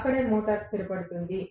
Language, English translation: Telugu, That is where the motor will settle down